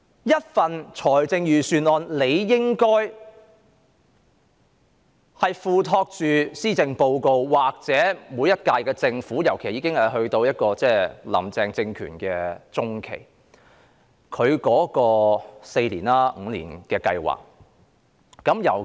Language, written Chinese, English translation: Cantonese, 一份預算案理應體現施政報告的措施或每屆政府的施政，尤其在今年"林鄭"政權已進入中期，亦即她提出的4年或5年計劃的實施中期。, A budget is supposed to materialize the measures proposed in the Policy Address or the policy administration of each term of Government especially as the Carrie LAM regime has already entered its mid - term and in other words it is half way through the implementation of the four - year or five - year plan put forward by her